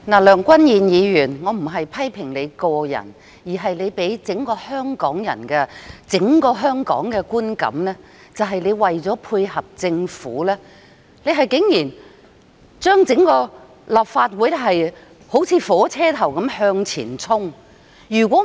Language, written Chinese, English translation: Cantonese, 梁君彥議員，我不是批評你個人，而是你給予整個香港的觀感，即你為求配合政府而令整個立法會像火車頭般向前衝。, Mr Andrew LEUNG I am not criticizing you personally but you give Hong Kong people an impression that you have led the Legislative Council to rush through the bill like a locomotive to support the Government